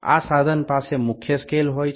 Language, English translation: Bengali, This instrument is having main scale